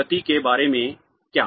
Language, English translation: Hindi, What about the momentum